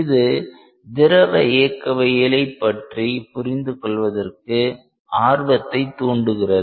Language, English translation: Tamil, So, there is a lot of motivation in studying and understanding fluid mechanics